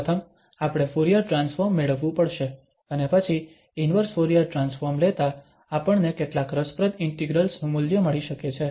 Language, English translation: Gujarati, First, we have to get the Fourier transform and then taking the inverse Fourier transform we can get the value of some interesting integrals